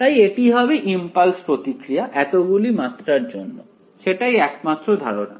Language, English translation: Bengali, So, it will be impulse response corresponding to so many dimensions that is the only idea